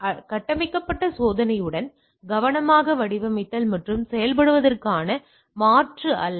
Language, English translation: Tamil, So, not a replacement for careful design and implementation with structured testing